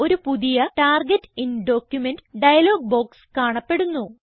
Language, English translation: Malayalam, A new Target in document dialog box appears